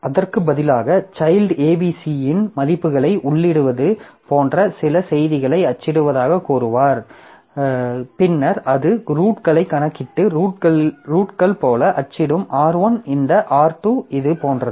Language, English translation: Tamil, So, instead the child will say print some messages like enter values of A, B, C, then it will calculate roots and print like a roots are R1, this R2, this like that